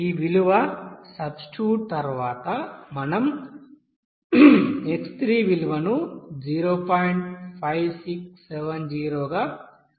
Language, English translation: Telugu, Then after substitution of this value, we can get this value of x3 as 0